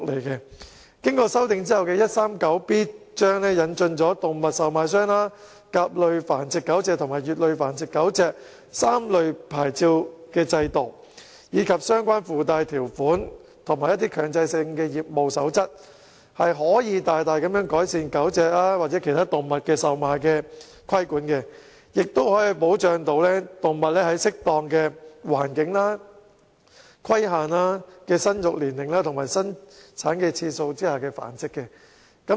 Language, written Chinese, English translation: Cantonese, 經修訂後的第 139B 章，引進了動物售賣商牌照、甲類繁育狗隻牌照和乙類繁育狗隻牌照的制度，以及訂定相關附帶條款及強制性業務守則，可以大大改善對售賣狗隻或其他動物的規管，也可保障動物在適當環境和有規限的生育年齡及生產次數下繁殖。, 139B introduces the Animal Trader Licence Dog Breeder Licence Category A and Dog Breeder Licence Category B as well as provides for relevant requirements and mandatory code of practice thereby improves the regulation of the sale of dogs and other animals and ensures that animal breeding is operated under proper environment with restricted age of breeding and number of litters